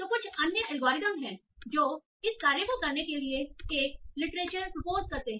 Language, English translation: Hindi, Now, so there are some other algorithms also proposed literature for doing this task